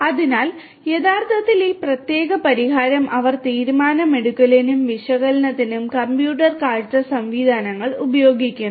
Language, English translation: Malayalam, So, here actually this particular solution they are using computer vision mechanisms for the decision making and analytics